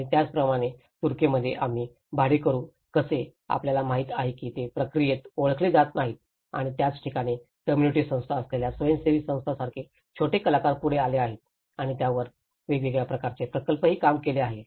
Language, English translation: Marathi, And similarly, in Turkey, we have also learned about how the renters, you know they are not recognized in the process and that is where the small actors like NGOs with community agencies came forward and they also worked on different projects on it, right